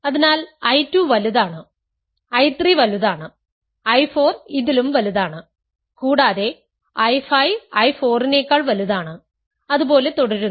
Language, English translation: Malayalam, So, I 2 is bigger, I 3 is bigger, I 4 is even bigger and I 5 is bigger than I 4 and so on